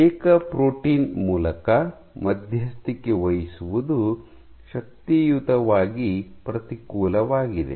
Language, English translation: Kannada, So, connection mediated via single protein is energetically unfavorable